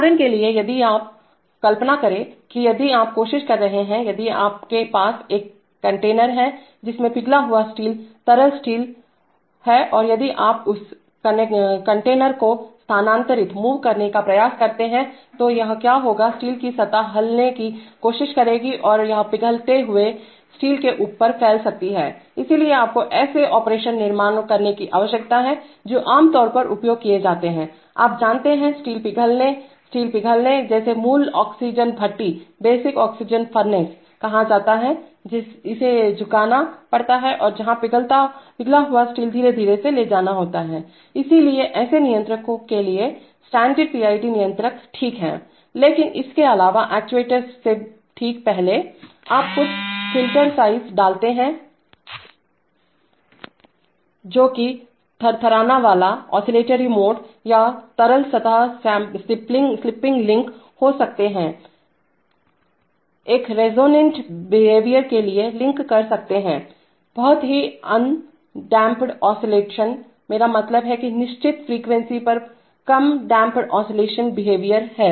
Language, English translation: Hindi, For example, if you are, imagine that if you are trying to, trying, if you are, if you are having a container which contains molten steel, liquid steel and if you try to move that container then what will happen is that, the steel surface will try to move and it might spill over molten steel, so you need to construct, so for such operations which are typically used in, you know, steel melting, steel melting, what is called a basic oxygen furnace, which has to be tilted where the molten steel has to be slowly moved, so for such controllers, standard PID controller is all right but apart from that just before the actuator, you put certain filter size that, those oscillatory modes, this liquid surface spilling can be link to a, can link to a resonant behavior very highly un damped oscillate, I mean very lowly damped oscillatory behavior at a certain frequency